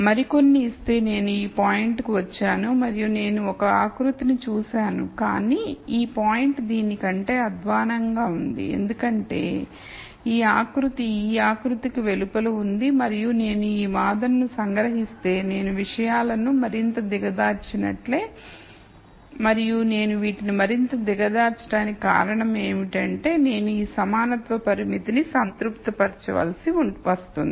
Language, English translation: Telugu, So, I give some more I come to this point and I see a contour and this point is worse than this because this contour is outside this contour and if I extract this argument let us say I keep making things worse and the only reason I am making these worse is because I am forced to satisfy this equality constraint